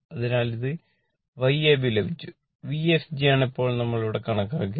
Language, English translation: Malayalam, So, it is your Y ab you got and V fg now we have we computed here V fg